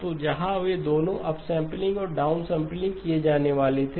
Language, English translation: Hindi, So where they was both upsampling and downsampling to be done